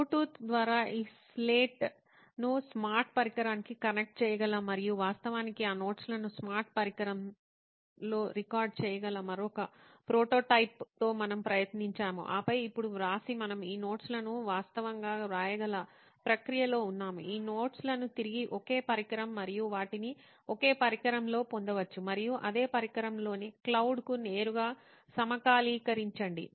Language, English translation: Telugu, Then we tried with another prototype where we can actually connect this slate to a smart device through Bluetooth and actually record that notes in a smart device, then write now we are in a process where we can actually write these notes, retrieve these notes in the same device and organize them in the same device and directly sync to the cloud within the same device